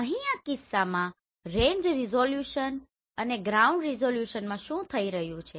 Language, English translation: Gujarati, Here in this case what is happening the range resolution and ground resolution